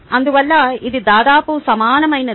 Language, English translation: Telugu, therefore, its pretty much the same